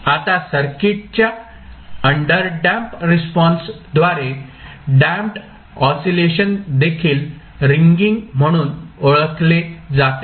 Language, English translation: Marathi, Now the damped oscillation show by the underdamped response of the circuit is also known as ringing